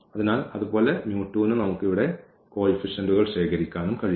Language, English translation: Malayalam, So, similarly for with mu 2 also we can also collect the coefficients here